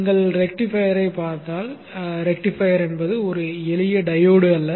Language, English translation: Tamil, If you look at the rectifier, rectifier is nothing but a simple diode